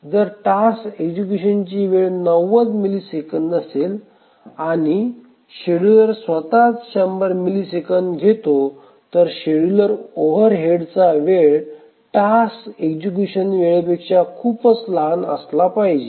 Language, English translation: Marathi, If the task execution time is 90 milliseconds and the scheduler itself takes 100 milliseconds, then it is not a good idea